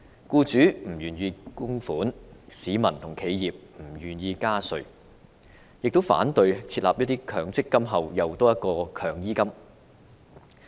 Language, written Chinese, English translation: Cantonese, 僱主不願意供款，市民和企業亦不願意加稅，同時反對在強制性公積金之後再設"強醫金"。, Employers were unwilling to make contributions while the general public and businesses resisted a tax increase . They also opposed the idea of mandatory health care fund after the launch of the Mandatory Provident Fund